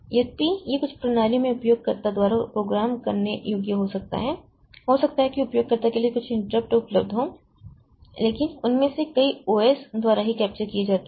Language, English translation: Hindi, Though it may be programmable by the user in some systems, maybe some of the interrupts are available to the user but many of them are captured by the OS itself